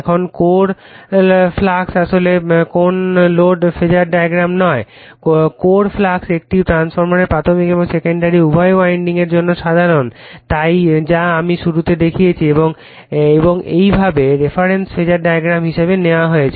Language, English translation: Bengali, Now, the core flux actually no load Phasor diagram, the core flux is common to both primary and secondary windings in a transformer that I showed you in the beginning and is thus taken as the reference Phasor in a phasor diagram